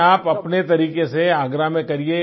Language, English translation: Hindi, No, in your own way, do it in Agra